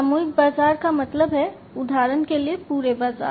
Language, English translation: Hindi, Mass market means, like for instance you know the whole market right